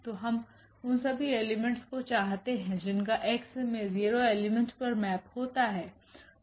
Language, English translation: Hindi, So, we want all those elements whose who those elements in X whose map is as a 0 element